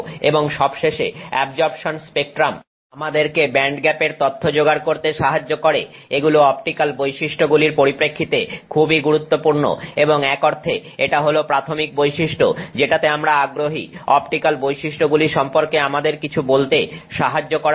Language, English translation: Bengali, And finally the absorption spectrum enables us to obtain band gap information which is very useful from the perspective of optical properties and in a sense is the primary characteristic that we are interested in to help us say something about the optical properties